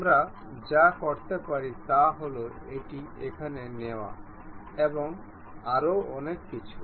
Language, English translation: Bengali, What we can do is take this one here and so on